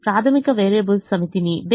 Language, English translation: Telugu, the set of basic variables is called basis